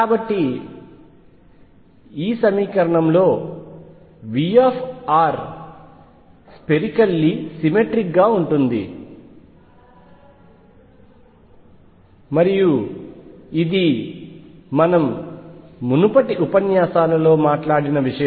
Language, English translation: Telugu, So, in this equation v r is spherically symmetric, and this is something that we have talked about in the previous lectures